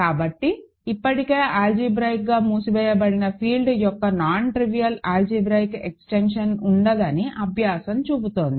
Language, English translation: Telugu, So, the exercise is showing that, there cannot be a nontrivial algebraic extension of an already algebraically closed field